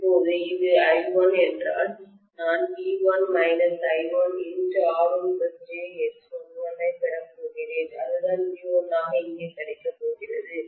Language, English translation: Tamil, Now if this is I1, I am going to have V1 minus I1 times R1 plus jXl1 that is what is going to be available as V1 here, right